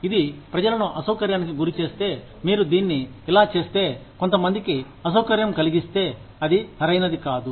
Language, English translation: Telugu, If it inconveniences people, if how you do it, has inconvenienced some people, then it is not right